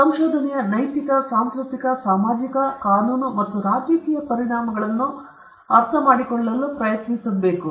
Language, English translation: Kannada, Trying to understand the moral, cultural, social, legal, and political implications of research